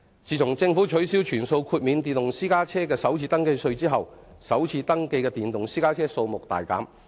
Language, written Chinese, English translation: Cantonese, 自政府取消全數豁免電動私家車的首次登記稅後，首次登記的電動私家車數目大減。, Since the Government cancelled the full FRT exemption for electric private vehicles the number of electric private cars registered for the first time has plummeted